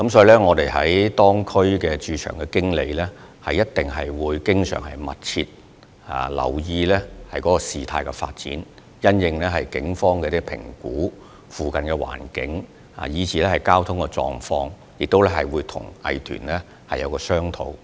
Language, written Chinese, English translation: Cantonese, 因此，各區駐場經理會密切留意事態發展及警方對鄰近環境和交通狀況的評估，亦會與有關藝團進行商討。, As such the venue managers in various districts will keep a close watch on the recent developments as well as the Polices assessment of the surrounding environment and traffic conditions . They will also discuss with the arts groups concerned